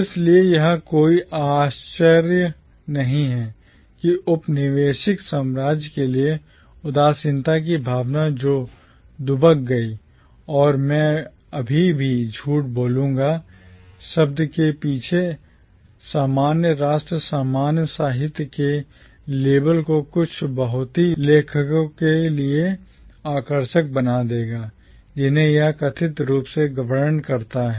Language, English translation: Hindi, It is therefore no wonder that the feeling of nostalgia for the colonial empire that lurked, and I would say still lurks, behind the term commonwealth would make the label of commonwealth literature unattractive to some of the very authors that it supposedly describes